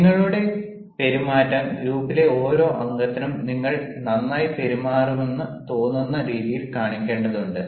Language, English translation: Malayalam, you have to show your behavior in a way that every member in the group feels that you are well behaved